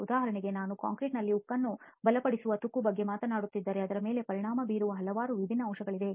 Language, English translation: Kannada, For example if I am talking about corrosion of reinforcing steel in concrete there are several different factors that may affect that